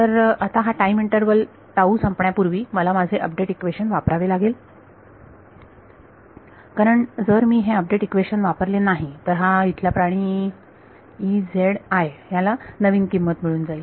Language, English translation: Marathi, So, now, before this period of interval tau goes I should use my update equation why because, if I do not use this update equation then this guy over here E z i would have got a new value